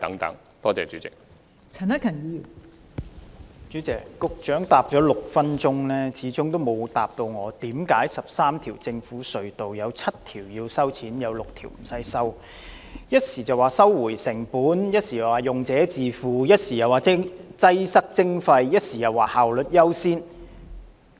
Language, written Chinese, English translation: Cantonese, 代理主席，局長在其6分鐘的答覆中始終沒有解釋為何在13條政府隧道中，有7條須收費 ，6 條無須收費。他提及"收回成本"、"用者自付"、"擠塞徵費"、"效率優先"等原則。, Deputy President in his 6 - minute - long reply the Secretary still failed to explain why among the 13 government tunnels seven of them are tolled while six are toll - free and simply mentioned the principles of cost recovery user pays congestion charging efficiency first etc